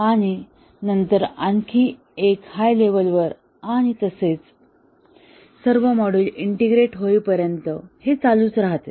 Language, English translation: Marathi, And then take one more and then the higher level and so on until all the modules are integrated